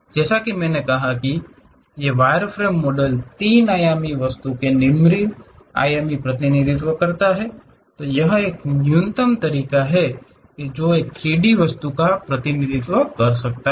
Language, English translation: Hindi, As I said these wireframe models are low dimensional representation of a three dimensional object; this is the minimalistic way one can really represent 3D object